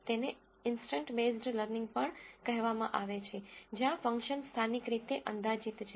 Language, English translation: Gujarati, It is also called as an instant based learning where the function is approximated locally